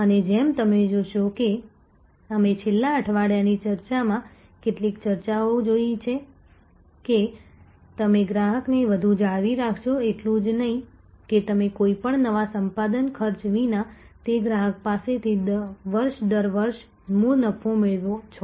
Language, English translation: Gujarati, And as you will see that we saw some discussions in the last week’s discussion, that the more you retain the customer not only you gain by the base profit year after year from that customer without any new acquisition cost